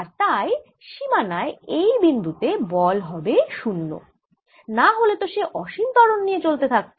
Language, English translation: Bengali, and therefore force on a point at the boundary must be zero, otherwise it'll move with infinite acceleration